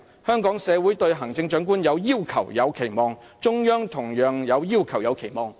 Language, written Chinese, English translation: Cantonese, 香港社會對行政長官有要求、有期望；中央同樣有要求、有期望。, The Hong Kong community has demands on and expectations for the Chief Executive and so does the Central Government